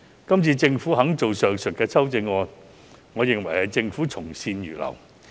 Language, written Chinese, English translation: Cantonese, 今次政府提出上述修正案，我認為政府從善如流。, I think that the Government has shown receptiveness to advice by proposing the aforesaid CSAs